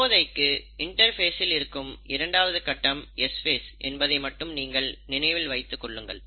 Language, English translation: Tamil, But, for the time being, you remember that the second phase of interphase is the S phase